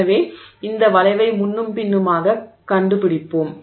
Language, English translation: Tamil, So you will trace this curve back and forth